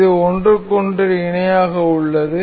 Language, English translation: Tamil, This is parallel to each other